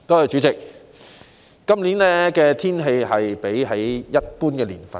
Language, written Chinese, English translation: Cantonese, 主席，本年的氣溫較往年低。, President the temperature this year is lower than previous years